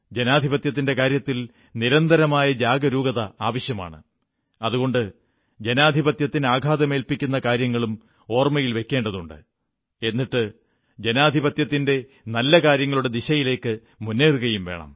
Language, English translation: Malayalam, One needs to be constantly alert about our Democracy, that is why we must also keep remembering the events that inflicted harm upon our democracy; and at the same time move ahead, carrying forward the virtues of democracy